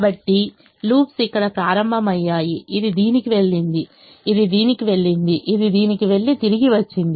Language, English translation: Telugu, so the loops started here, it went to this, it went to this, it went to this and it came back now